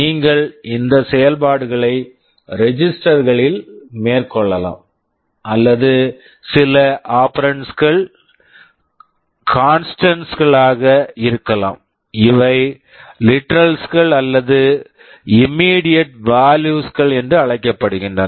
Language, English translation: Tamil, You may carry out these operations on registers, or some of the operands may be constants these are called literals or immediate values